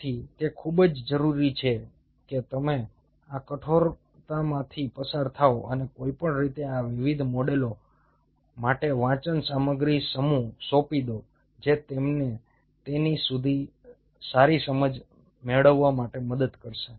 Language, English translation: Gujarati, so it is very, very essential that you go through this rigor and anyhow be handing over the bunch of reading materials for these different models, which will help you to get a better understanding of it